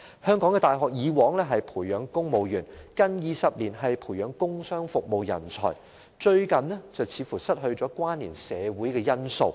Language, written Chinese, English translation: Cantonese, 香港的大學以往着重培養公務員，近20年轉為培養工商服務人才，最近卻似乎失去關連社會的因素。, Universities in Hong Kong used to emphasize the nurturing of civil servants . In the past two decades their emphasis has shifted to the nurturing of commercial and industrial talents though they have apparently lost their connection with society recently